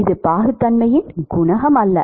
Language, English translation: Tamil, It is not coefficient of viscosity